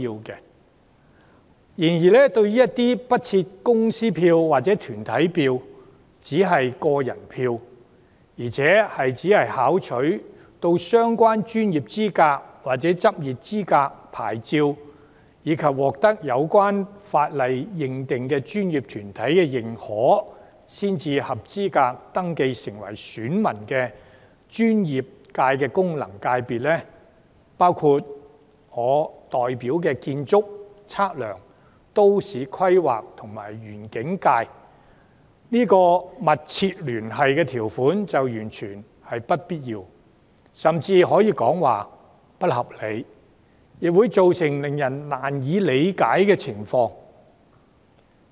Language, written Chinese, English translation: Cantonese, 然而，對於其他不設公司票或團體票而只設個人票，並只准許具備相關專業資格或執業牌照及獲有關法定專業團體認可才符合選民資格的專業界功能界別，包括我代表的建築、測量、都市規劃及園境功能界別，上述密切聯繫條款完全沒有必要，甚至可說是不合理，亦會造成令人難以理解的情況。, However for other FCs that do not have corporate votes but only individual votes and only those who have the relevant professional qualifications or practising certificates and are recognized by the relevant statutory professional bodies are eligible to be registered as electors the above mentioned condition of substantial connection is not necessary and even unreasonable . The Architectural Surveying Planning and Landscape FC that I represent is a case in point . Many people will find this situation perplexing